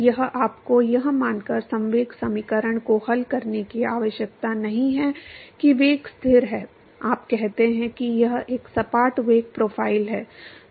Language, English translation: Hindi, Now you do not have to solve the momentum equation assuming that the velocity is constant right, you say it is a flat velocity profile